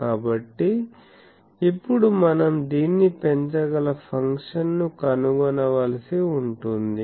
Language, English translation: Telugu, So, we can now we have to find a function that which can maximise this